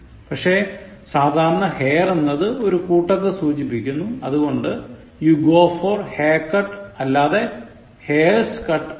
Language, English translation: Malayalam, But generally, you remember hair usually used to indicate the mass, so you go for haircut not for hairs cut, okay